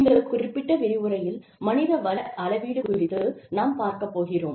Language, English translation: Tamil, In this particular lecture, we will be dealing with, human resources measurement